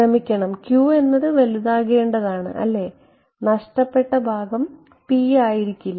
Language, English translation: Malayalam, Sorry q is what you want to make very high right the loss part may not p